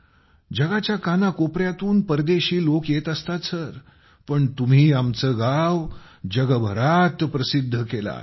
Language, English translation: Marathi, Foreigners from all over the world can come but you have made our village famous in the world